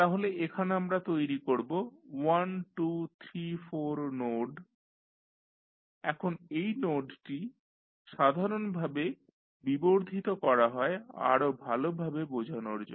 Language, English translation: Bengali, So, here we will 1 2 3 4 terms so we will create 1 2 3 4 nodes now this node is basically being extended to give you better clarity